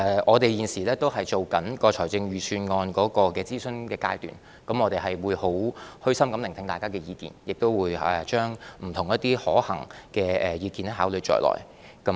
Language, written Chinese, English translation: Cantonese, 我們現正在預算案的諮詢階段，我們會虛心聆聽大家的意見，亦會將不同的可行意見考慮在內。, Our Budget is now at the consultation stage . We will listen to peoples views with an open mind and will consider different feasible ideas